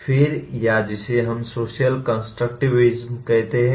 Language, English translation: Hindi, Then came what we call “social constructivism”